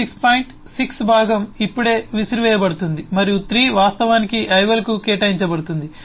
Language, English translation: Telugu, 36 the point 6 part will be just thrown away and 3 will get assigned to the ival